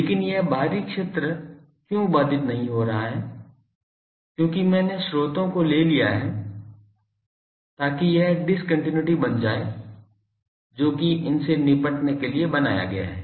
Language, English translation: Hindi, But why this outside is not is getting disturbed because I have taken the sources so that it becomes the discontinuity that is created by placing these that is tackled here